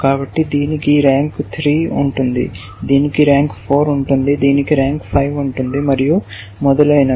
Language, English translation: Telugu, So, this will have rank 3, this will have rank 4, and so on and so forth